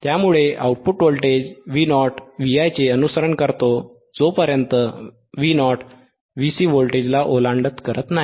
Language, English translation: Marathi, hHence the output voltage v Vo follows V i until it is exceeds c V c voltage